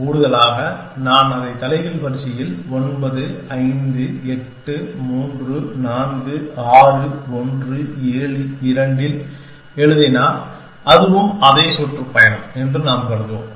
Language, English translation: Tamil, And in the addition, if I write it in the reverse order 9 5 8 3 4 6 1 7 2, then also we will assume it is the same tour